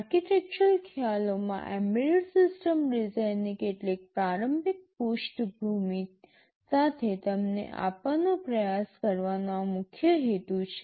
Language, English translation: Gujarati, This is the main purpose of trying to give you with some of the initial backgrounds of embedded system design in the architectural concepts